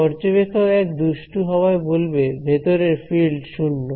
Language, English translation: Bengali, Observer 1 being a mischief says oh field inside a 0